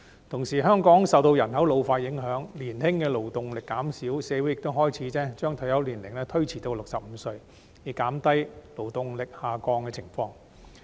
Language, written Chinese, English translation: Cantonese, 同時，香港受到人口老化影響，年青的勞動力減少，社會亦開始將退休年齡延遲至65歲，以減低勞動力下降的情況。, Meanwhile given the effect of population ageing the young labour force in Hong Kong is dwindling and society has begun to extend the retirement age to 65 to counter the shrinkage of the labour force